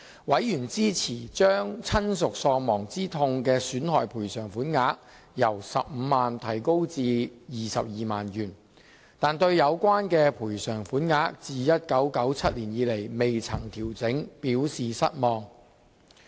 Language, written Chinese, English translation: Cantonese, 委員支持將親屬喪亡之痛損害賠償法定款額由 150,000 元提高至 220,000 元，但對有關賠償款額自1997年以來從未作出調整，表示失望。, Members were in support of increasing the statutory sum of damages for bereavement from 150,000 to 220,000 but were disappointed by the fact that the bereavement sum has never been adjusted since 1997